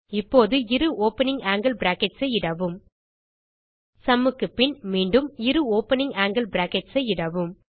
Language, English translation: Tamil, Now, type two opening angle brackets After sum , again type two opening angle brackets